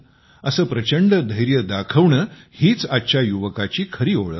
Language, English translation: Marathi, This zest is the hallmark of today's youth